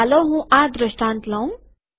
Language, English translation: Gujarati, So let me just take this example